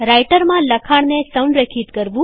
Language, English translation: Gujarati, Aligning Text in writer